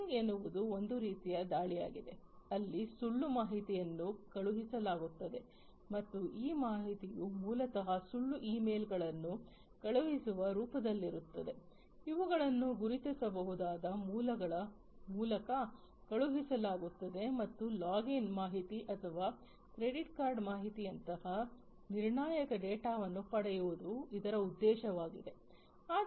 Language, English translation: Kannada, Phishing is a form of attack where false information is sent, and these information are basically in the form of sending false emails, which have been sent through recognizable sources and the aim is to get critical data such as login information or credit card information and so on